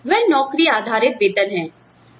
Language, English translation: Hindi, So, that is the job based pay